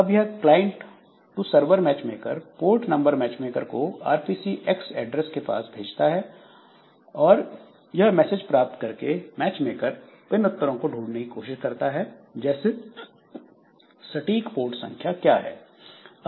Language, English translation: Hindi, So, from client to server, the matchmaker it sends a message to the port number matchmaker and with the address of RPC X and the matchmaker it receives the message and looks up for answer like which one, what is the exact port number for that